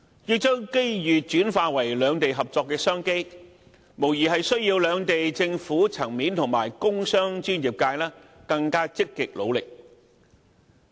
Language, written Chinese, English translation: Cantonese, 要將機遇轉化為兩地合作的商機，無疑需要兩地政府層面和工商專業界更積極努力。, To turn such opportunities into business opportunities for cooperation between the two places more active efforts should undoubtedly be made by the governments of the two places and the business and professional sectors